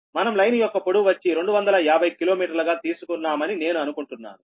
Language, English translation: Telugu, i think when we took that that line length is two hundred fifty kilometer right